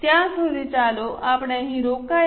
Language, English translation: Gujarati, Till that time, let us stop here